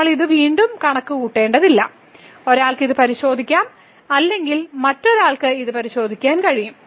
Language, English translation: Malayalam, So, we do not have to compute this again one can check or one can verify this